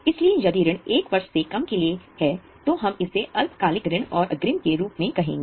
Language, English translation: Hindi, Now, since this is for a longer period, we are showing it as a long term loans and advance